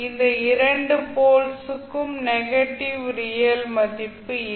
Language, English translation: Tamil, Because these two poles does n’ot have any negative real value